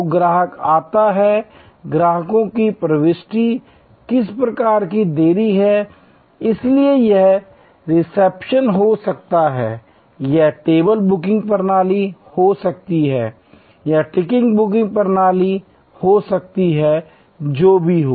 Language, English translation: Hindi, So, customer comes in, customers entry, there is some kind of delay, so this can be the reception, this can be the table booking system, this can be the ticket booking system, whatever